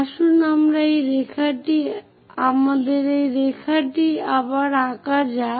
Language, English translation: Bengali, Let us draw again that line